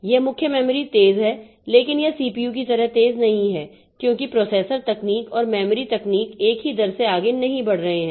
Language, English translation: Hindi, This main memory is fast, but it is not as fast as CPU because this processor technology and memory technology they are not advancing at the same rate